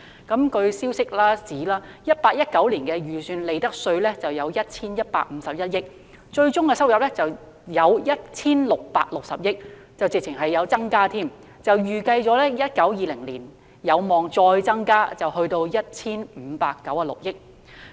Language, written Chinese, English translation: Cantonese, 據消息人士指 ，2018-2019 年度的預算利得稅為 1,151 億元，最終收入為 1,660 億元，根本上是有所增加，並預計在 2019-2020 年度有望再增至 1,596 億元。, According to sources the estimated amount of profits tax in 2018 - 2019 was 115.1 billion . In the end the revenue was 166 billion . There was in fact an increase and it is expected to further increase to 159.6 billion in 2019 - 2020